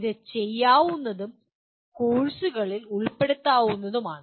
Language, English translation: Malayalam, This is doable and it can be incorporated into some of the courses